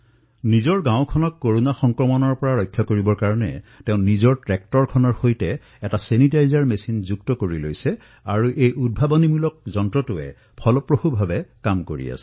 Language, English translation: Assamese, To protect his village from the spread of Corona, he has devised a sanitization machine attached to his tractor and this innovation is performing very effectively